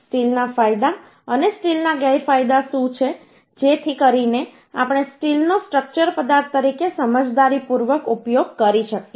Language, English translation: Gujarati, What are the advantages of uhh steel and disadvantages of the steel so that we can uhh wisely use uhh the steel as a structural material